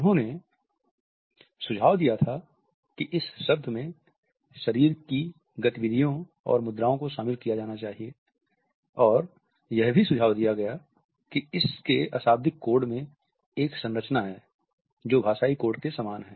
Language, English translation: Hindi, He had suggested that this term should include body movements and postures, and also suggested that non verbal codes had a structure which is similar to those of linguistic codes